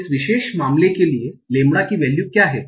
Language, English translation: Hindi, For this particular case, what is the value of lambda W